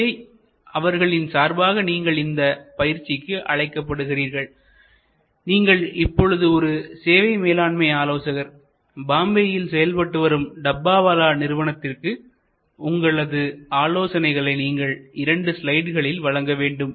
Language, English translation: Tamil, So, on behalf, you are invited to this assignment therefore, you are a service management consultant and you are to advice the Bombay Dabbawala organization, we do two slides